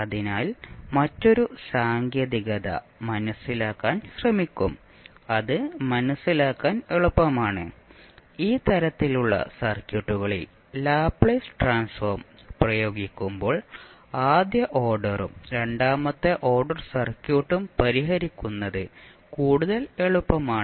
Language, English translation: Malayalam, So, we will try to understand another technique that is the Laplace transform which is easier to understand and we when we apply Laplace transform in these type of circuits it is more easier to solve the first order and second order circuit